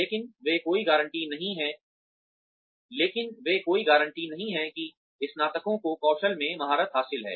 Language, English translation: Hindi, But, they are no guarantee that, graduates have mastered skills